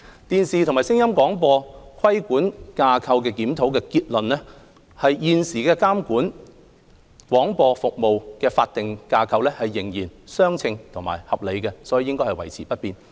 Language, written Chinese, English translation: Cantonese, "電視及聲音廣播規管架構檢討"的結論是現時監管廣播服務的法定架構仍然相稱和合理，所以應維持不變。, The Review has concluded that the existing broadcasting regulatory framework is still proportionate and reasonable and should therefore remain intact